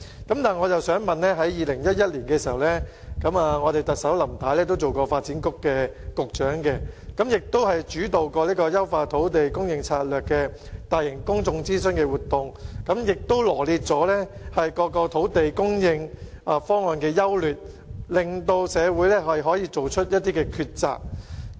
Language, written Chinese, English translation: Cantonese, 不過，我想指出在2011年，當特首仍然擔任發展局局長時，她亦曾主導進行有關"優化土地供應策略"的大型公眾諮詢活動，並臚列了各個土地供應方案的優劣，令社會可作出抉擇。, But I want to point out that when the incumbent Chief Executive was the Secretary for Development in 2011 she herself already led a massive public consultation exercise on Enhancing Land Supply Strategy . At that time the pros and cons of various land supply options were set out to enable society to make a choice